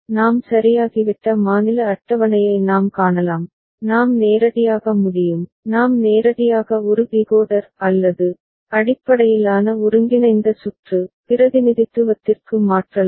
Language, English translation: Tamil, And we can see the state table that we have got ok, we can directly; we can directly convert to a Decoder OR based combinatorial circuit representation ok